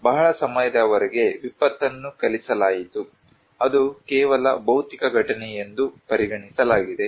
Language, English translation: Kannada, For very very long time, disaster was taught, considered that is only a physical event